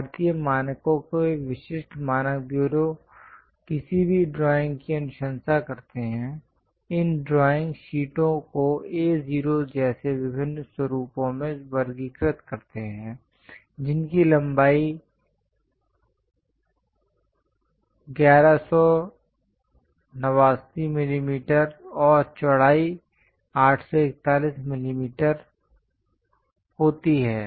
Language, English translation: Hindi, The typical standards bureau of Indian standards recommends for any drawing, categorizing these drawing sheets into different formats like A0, which is having a length of 1189 millimeters and a width of 841 millimeters